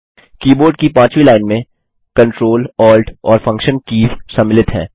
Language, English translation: Hindi, The fifth line of the keyboard comprises the Ctrl, Alt, and Function keys